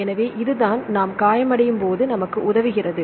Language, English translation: Tamil, So, if this is the one which helps when we get injured